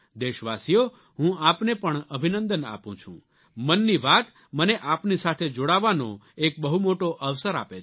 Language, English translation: Gujarati, 'Mann Ki Baat' gives me a great opportunity to be connected with you